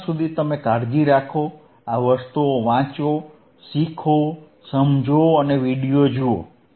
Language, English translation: Gujarati, Till then you take care read thisese things, learn, understand and look at the videos,